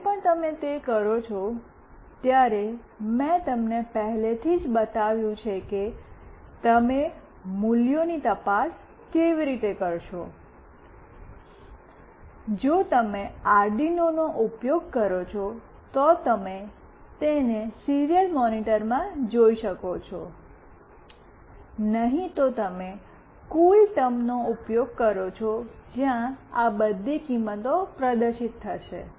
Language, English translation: Gujarati, When you do it, I have already shown you that how you will be looking into the values, if you use Arduino, you can see it in the serial monitor; else you use CoolTerm where all these values will get displayed